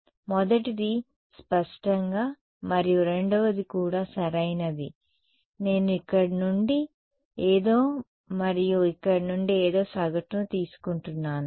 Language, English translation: Telugu, The first one; obviously and the second one also right I am taking the average of something from here and something from here